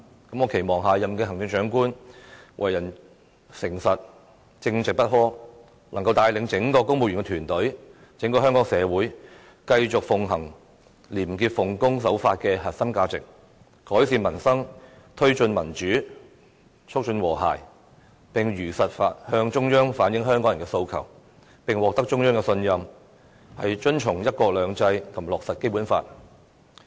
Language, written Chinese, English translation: Cantonese, 我期望下任行政長官為人誠實、正直不阿，能夠帶領整個公務員團隊、整個香港社會，繼續奉行廉潔、奉公守法的核心價值，改善民生，推進民主，促進和諧，並如實向中央反映香港人的訴求，並獲得中央的信任，遵循"一國兩制"和落實《基本法》。, I hope that the next Chief Executive will be an honest person of total integrity one who is capable of leading the entire civil service team and our whole society in continuing to uphold the core values of probity and obedience to the law . The next Chief Executive should seek to improve peoples livelihood promote democracy and harmony and truthfully reflect Hong Kong peoples aspirations to the Central Authorities . He or she must also command the trust of the Central Authorities adhere to one country two systems and implement the Basic Law